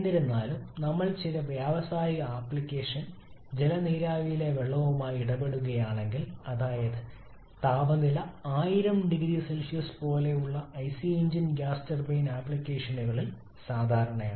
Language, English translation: Malayalam, However if we are dealing with water in some industrial application water vapour, that is where the temperature is something like 1000 degree Celsius quite common possible in IC engine gas turbine applications